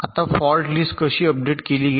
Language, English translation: Marathi, now how are the fault list updated here